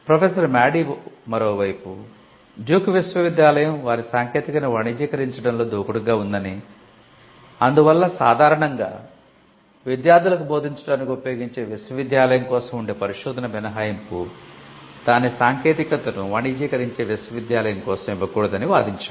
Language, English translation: Telugu, Professor Madey on the other hand a list that Duke University was aggressive in commercializing their technology and hence, the research exception which is normally open for a university which would normally be used for instructing students should not be opened for a university that commercialize its technology and this was true for all the leading universities in the United States